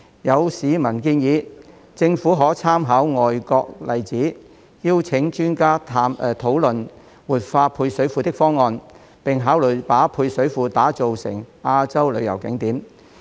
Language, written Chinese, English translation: Cantonese, 有市民建議，政府可參考外國例子，邀請專家討論活化配水庫的方案，並考慮把配水庫打造成亞洲旅遊景點。, Some members of the public have suggested that the Government may by making reference to overseas examples invite experts to discuss the options for revitalizing the service reservoir as well as consider developing the service reservoir into a tourist attraction in Asia